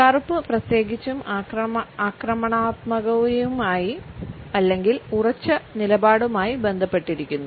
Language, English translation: Malayalam, Black particularly is also associated with a positive sense of aggression in the sense of being assertive